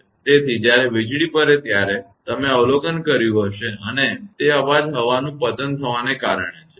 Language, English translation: Gujarati, So, when lightning happen you have observed that and that noise comes due to the air break down